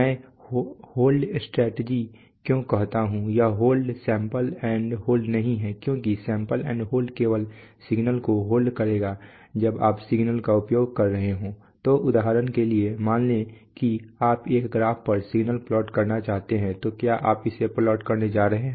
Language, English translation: Hindi, Why I say the hold strategy is that this, this hold is not the sample and hold, because the sample and hold will simply hold the signal but when you are using the signal, so for example suppose you want to plot this signals on, on a graph, so are you going to plot it